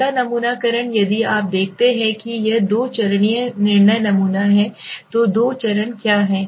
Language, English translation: Hindi, A quota sampling if you see it is the two stage judgmental sampling, so what is the two stages